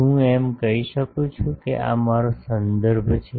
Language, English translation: Gujarati, Can I say that, this is, this is my reference